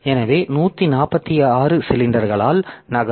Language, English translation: Tamil, So, by 146 cylinders it will move